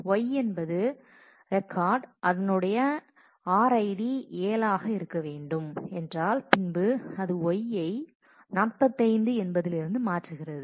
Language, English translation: Tamil, If Y is the record id which is RID 7, then it y changes from 45 to